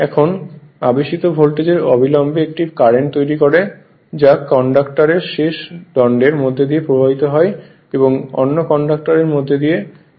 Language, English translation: Bengali, Now, the induced voltage immediately produces a current I which flows down the conductor through the end bar and back through the other conductors